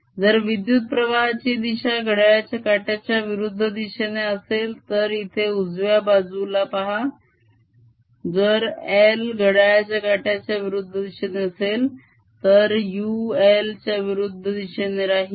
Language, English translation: Marathi, if the current direction was also counter clockwise just look at the right hand side here if i was counterclockwise then u would be pointing opposite to l